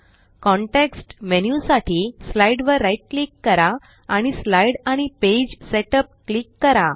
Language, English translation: Marathi, Right click on the slide for the context menu and click Slide and Page Setup